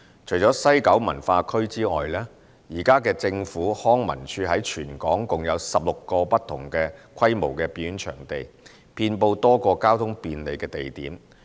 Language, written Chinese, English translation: Cantonese, 除了西九文化區外，現時政府康樂及文化事務署在全港共有16個不同規模的表演場地，遍布多個交通便利的地點。, Apart from the West Kowloon Cultural District WKCD the Leisure and Cultural Services Department LCSD currently has 16 performance venues of varying sizes situated at accessible locations all over the territory